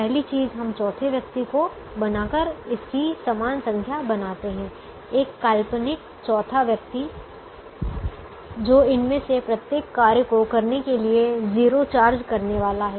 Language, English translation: Hindi, first thing we do is to make an equal number of entities by creating a fourth person, an imaginary fourth person who is going to charge zero to do each of these jobs